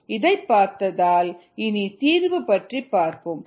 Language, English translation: Tamil, ok, having seen this, let us go about the solution